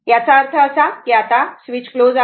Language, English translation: Marathi, That means this switch is closed now